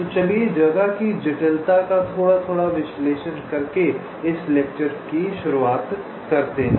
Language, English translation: Hindi, ok, so let us start this lecture by analyzing the space complexity a little bit of these approaches